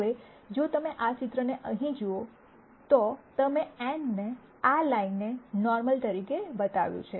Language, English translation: Gujarati, Now if you look at this picture here, we have shown n as a normal to this line